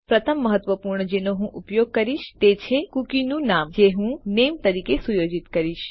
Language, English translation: Gujarati, The first vital one I will use is the name of the cookie which I will set to name